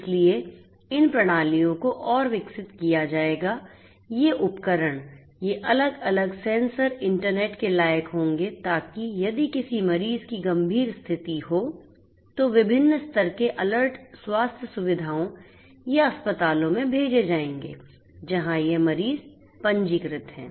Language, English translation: Hindi, So, these systems would be further developed, they could these devices, these different sensors would be internet work so that if any patient has a critical condition, different levels of alerts would be sent to the healthcare facilities or hospitals to which this patients are registered